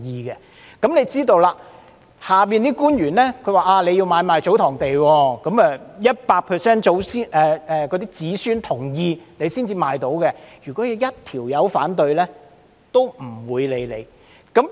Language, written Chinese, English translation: Cantonese, 大家也知道，下面的官員會說，如要買賣祖堂地，必須取得 100% 子孫同意才能出售，只要有一人反對也不會受理。, As we all know the responsible officers would say that TsoTong lands can only be sold with 100 % consent of the descendants and the transaction cannot proceed so long as one of them objects